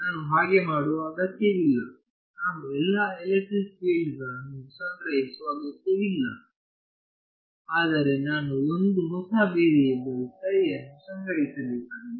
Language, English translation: Kannada, So, I do not need to so, I do not need to store all the electric fields, but I need to store one new variable which is psi